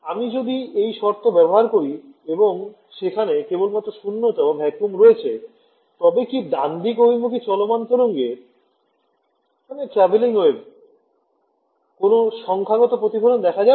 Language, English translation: Bengali, If I impose this condition and there is actually only vacuum over there, then right traveling wave will it see any numerical reflection